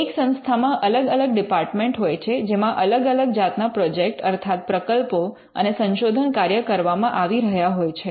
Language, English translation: Gujarati, In an institution may have different departments, all involving in different kinds of projects and research work